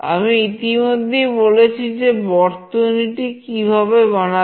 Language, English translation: Bengali, I have already discussed how you will be making the circuit